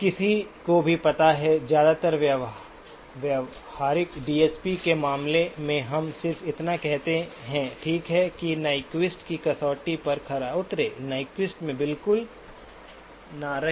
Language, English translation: Hindi, Anyone knows why in most of the practical DSP cases we just say, okay over satisfy the Nyquist criterion, do not stay exactly at Nyquist